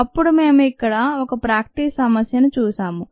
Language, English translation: Telugu, then we looked at this ah practice problem